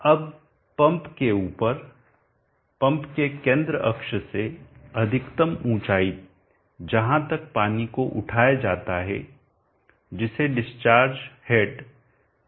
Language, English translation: Hindi, Now above the pump from the center axis of the pump up to the maximum height with the water is lifted up is called the discharge head hd